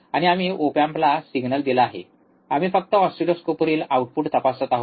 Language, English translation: Marathi, And we have given the signal to the op amp, and we are just checking the output on the oscilloscope